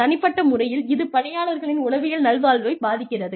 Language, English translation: Tamil, At the individual level, it affects the psychological well being, of the employees